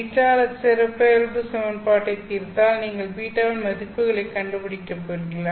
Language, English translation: Tamil, So if you solve the characteristic equation you are going to find the values of beta